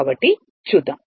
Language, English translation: Telugu, So, let us see right